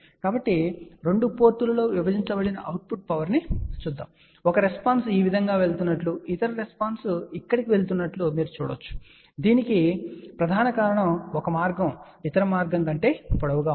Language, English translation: Telugu, So, let us see the power divided output at the 2 ports, you can see that one response is going like this other response is going over here, and this is the reason mainly because one path is longer than the other path